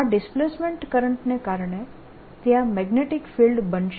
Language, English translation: Gujarati, because of this displacement current there's going to be field